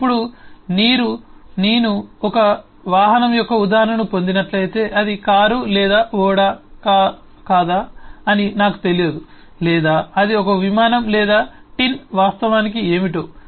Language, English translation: Telugu, now, if I just get an instance of a vehicle, I may not exactly know whether it is a car or a ship, or it is an aero plane or tin, what it actually is